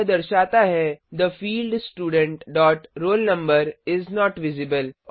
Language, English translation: Hindi, It says The field Student dot roll number is not visible